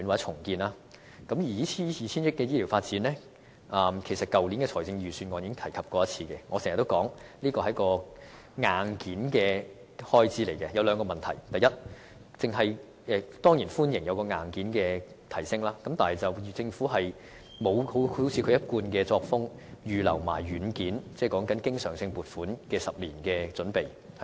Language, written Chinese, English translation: Cantonese, 這個 2,000 億元的發展計劃，其實在去年預算案中已有提出，我經常指出這便是一個硬件開支，當中涉及兩個問題：第一，我當然歡迎硬件上的提升，但政府卻沒有維持其一貫作風，預留一些軟件，即經常性撥款的10年準備。, This plan costing 200 billion was also proposed in the last Budget . As I frequently point out it is a kind of expenditure on the hardware . This involves two issues first I of course welcome the upgrade of hardware yet the Government has not followed its usual practice to earmark funding for the software such as recurrent expenditure for the next 10 years